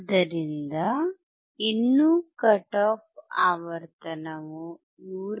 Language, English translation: Kannada, So, still the cut off frequency is 159